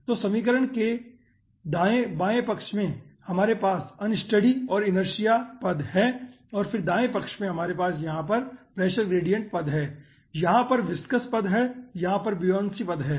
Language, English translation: Hindi, okay, so in the left hand side we are having unsteady and inertia term and then in a right hand side, you are having pressure, gradient term over here, viscous term over here, buoyancy term over here